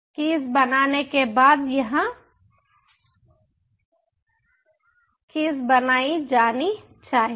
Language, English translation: Hindi, the key should be created here after we create a key